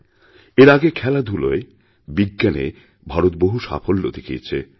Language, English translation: Bengali, Recently, India has had many achievements in sports, as well as science